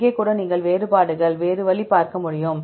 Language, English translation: Tamil, Here also you can see the differences is other way around